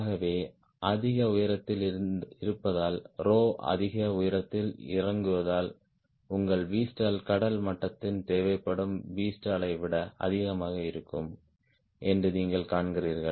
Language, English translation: Tamil, so there also, you see that because of high altitude, because rho goes down at high altitude, your v stall had a tendency to be more than v stall required at sea level